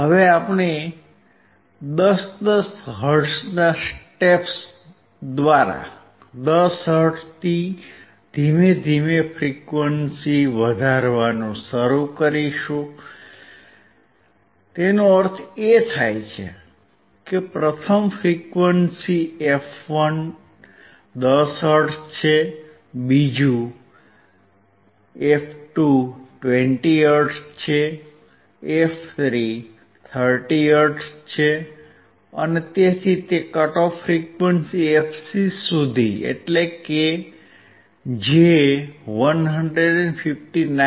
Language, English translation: Gujarati, Now we will start increasing the frequency gradually from 10 hertz in a step of 10 hertz; that means, first frequency f1 is 10 hertz, second f2 is 20 hertz, f3 is 30 hertz and so on until your cut off frequency fc, which is 159